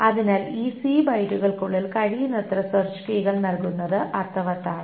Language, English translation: Malayalam, So it makes sense to put in as many search keys as possible within this C byte